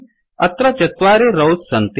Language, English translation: Sanskrit, There are four rows